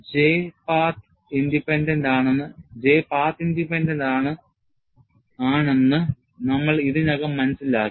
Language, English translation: Malayalam, And we have already noted that, J is path independent